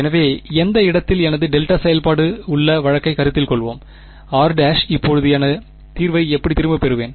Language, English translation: Tamil, So, let us consider the case where I have my delta function at any location r prime, how will I get back my solution now